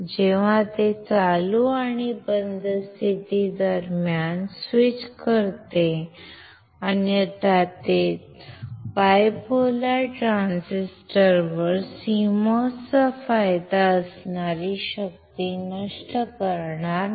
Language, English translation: Marathi, When it switches between the on state and off state, otherwise it will not dissipate the power that is the advantage of CMOS over the bipolar transistors